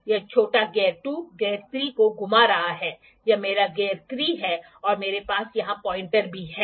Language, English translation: Hindi, This small gear 2 is rotating gear 3, this is my gear 3 and also I have the pin here sorry pointer here